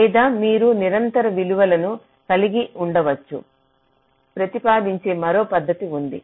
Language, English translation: Telugu, or there is another method which propose that you can have a continuous value